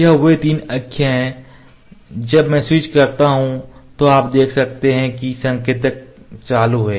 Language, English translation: Hindi, This is these are the there three axis when I switch on you can see that the indicator is on